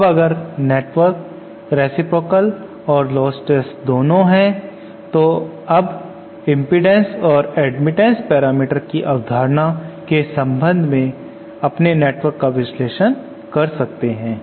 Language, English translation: Hindi, And if the network is both reciprocal and lostless so now we have analyzed our network for with respect to the concepts of impedance and admittance parameters